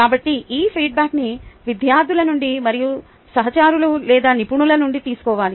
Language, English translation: Telugu, so this feedback should be taken from both students as well as colleagues or experts